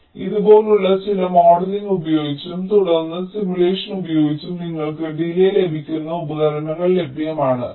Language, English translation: Malayalam, so so, using some modeling like this and then using simulation, there are tools available